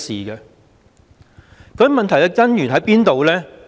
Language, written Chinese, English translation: Cantonese, 究竟問題的根源在哪裏呢？, Where exactly is the root of the problem?